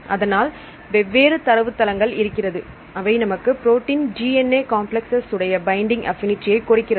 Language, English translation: Tamil, So, there are various databases available, which will give you the binding affinity of protein DNA complexes